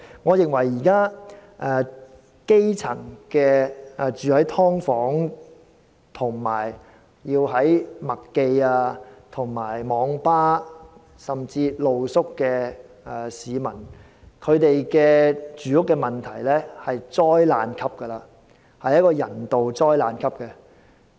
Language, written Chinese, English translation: Cantonese, 我認為，現時居於"劏房"，以及棲宿於麥當勞快餐店、網吧及街頭的基層市民的住屋問題在人道層面屬災難級別。, For grass - roots citizens living in subdivided units and those seeking refuge in McDonalds Internet cafés or the streets I think the housing problem facing them is catastrophic from a humanitarian point of view